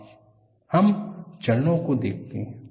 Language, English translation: Hindi, Now, let us look at the steps